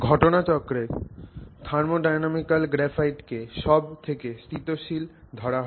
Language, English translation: Bengali, So, incidentally the thermodynamically graphite is considered the most stable form